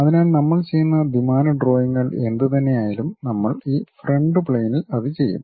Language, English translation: Malayalam, So, whatever the 2 dimensional drawings we go we are going to do we will do it on this front plane